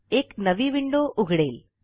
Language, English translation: Marathi, A new window pops up